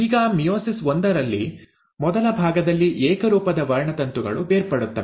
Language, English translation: Kannada, Now in meiosis one, the first part, the homologous chromosomes will get separated